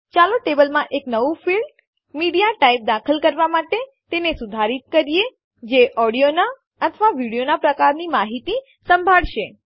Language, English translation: Gujarati, Let us now edit the table to add a new field MediaType which will hold the audio or the video type information